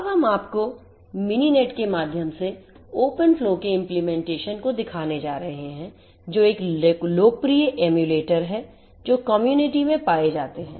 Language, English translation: Hindi, We are now going to show you the implementation of open flow through Mininet which is a popular emulator that is there in the community